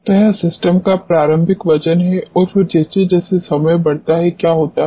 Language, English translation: Hindi, So, this is the initial weight of the system and then as time increases what happens